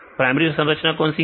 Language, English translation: Hindi, So, what is the primary structure